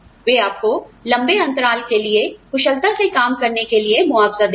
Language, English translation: Hindi, They will compensate you, for working efficiently, for longer periods of time